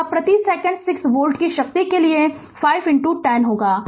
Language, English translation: Hindi, So, it will be 5 into 10 to the power 6 volt per second